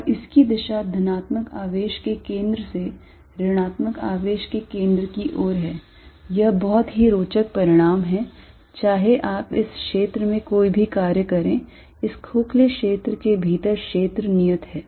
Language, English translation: Hindi, And it is direction is from the centre of the positive charge towards the centre of the negative, this is very interesting result no matter what you do field inside is constant in this hollow region